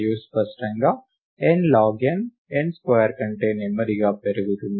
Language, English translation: Telugu, And clearly, n log n grows more slowly than n square